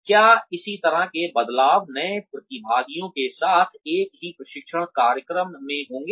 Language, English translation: Hindi, Will similar changes occur, with the new participants, in the same training program